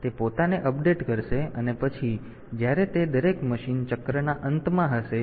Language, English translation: Gujarati, So, it will be updating itself, and then when it will be at the end of each machine cycle